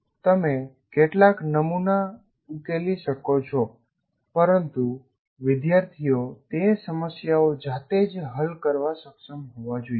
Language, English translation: Gujarati, You may solve some sample, but the students should be able to solve those problems by themselves